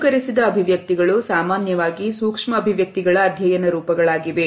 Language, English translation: Kannada, Simulated expressions are most commonly studied forms of micro expressions